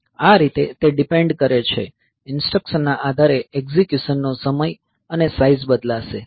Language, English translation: Gujarati, So, that way it depends, depending upon the instruction the execution time and the size will vary